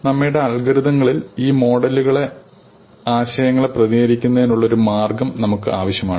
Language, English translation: Malayalam, We need a way of representing the concepts of these models in our algorithm